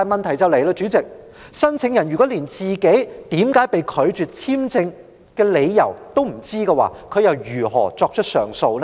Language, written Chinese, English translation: Cantonese, 代理主席，如果申請人不知道自己為甚麼被拒發簽證，他又如何提出上訴？, Deputy President if the applicant does not know the reasons for rejecting his application how then can he lodge an appeal?